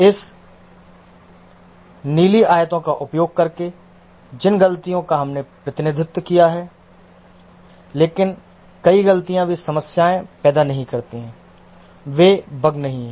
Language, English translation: Hindi, The mistakes we represented using these blue rectangles, but many mistakes they don't create problem